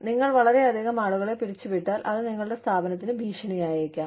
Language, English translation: Malayalam, If you lay off, too many people, it could be a threat, to your organization